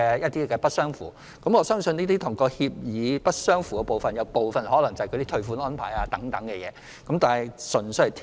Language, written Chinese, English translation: Cantonese, 就不符合書面服務協議的個案中，我相信部分可能涉及退款安排等問題。, As for cases of failing to comply with the requirements of written service agreements I believe some cases may involve issues such as refund arrangements